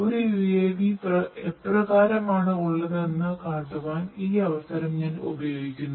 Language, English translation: Malayalam, So, let me just show you how a UAV looks physically